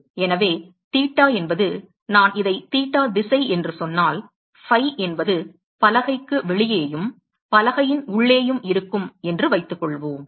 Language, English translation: Tamil, So, theta is, suppose if I say this is the theta direction then phi is in the direction outside the board and inside the board